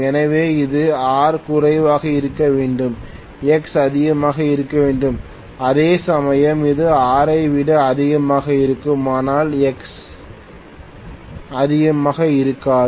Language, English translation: Tamil, So this will have R to be low, X to be high, whereas this is going to have R is actually also high, but X is not too high